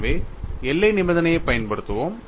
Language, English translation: Tamil, See, we are writing boundary condition on what